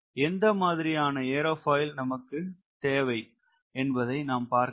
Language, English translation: Tamil, do i understand what sort of aerofoil i require